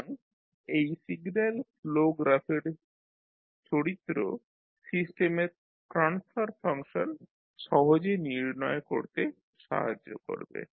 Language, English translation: Bengali, So this signal flow graph property will help in finding out the transfer function of the system more easily